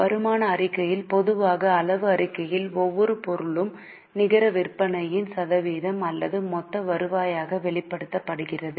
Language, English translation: Tamil, In common size statement on income statement, each item is expressed as a percentage of net sales or the total revenue